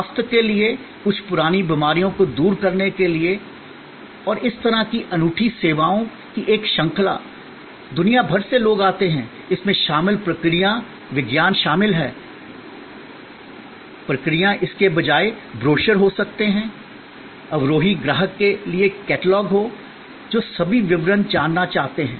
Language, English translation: Hindi, A series of unique services for well being, for health, for addressing certain chronic diseases and so on, people come from all over the world, the processes involved, the science involved, the procedures, instead ofů There may be brochures, there may be catalogs for the descending customer, who may want to know all the details